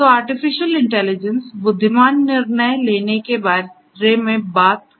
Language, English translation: Hindi, So, artificial intelligence talks about making intelligent decisions